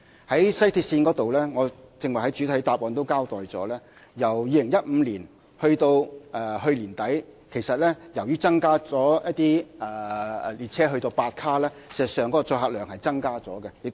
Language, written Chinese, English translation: Cantonese, 在西鐵線方面，我剛才在主體答覆已交代，由2015年至去年年底，由於一些列車增至8卡，事實上，載客量是增加了。, As regards WRL as I have stated in the main reply the carrying capacity has in fact increased after some trains have been upgraded to eight cars from 2015 to the end of last year